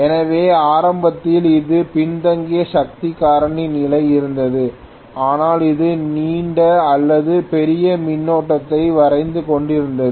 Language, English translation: Tamil, So initially it was at you know lagging power factor condition but it was drawing a longer or bigger current